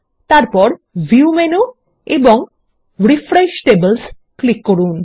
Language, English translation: Bengali, Next click on the View menu and then on Refresh Tables